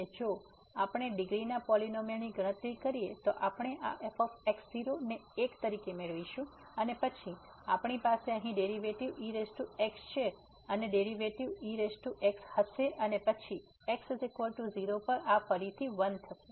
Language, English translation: Gujarati, And if we compute the polynomial of degree once we will get this as 1 and then we have the derivative here power the derivative will be power and then at is equal to this will again 1